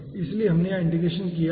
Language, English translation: Hindi, so we can start integration procedure